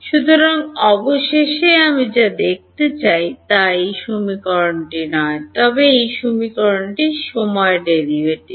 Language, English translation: Bengali, So, finally, what I am wanting to look at, not this equation, but the time derivative of this equation right